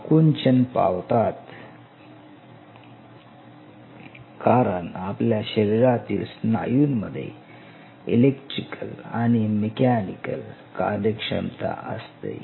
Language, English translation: Marathi, So, that it contracts because all our skeletal muscle what we have they have both electrical as well as mechanical function